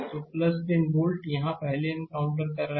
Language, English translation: Hindi, So, plus 10 volt, it is encountering first